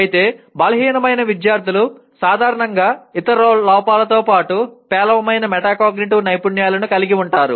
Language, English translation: Telugu, Whereas, weaker students typically have poor metacognitive skills besides other deficiencies